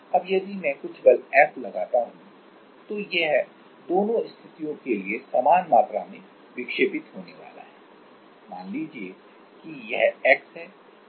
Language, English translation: Hindi, Now, if I apply some force F then it is going to deflect by same amount for both the cases, let us say that is x